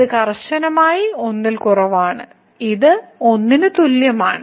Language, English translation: Malayalam, So, this is strictly less than , this is less than equal to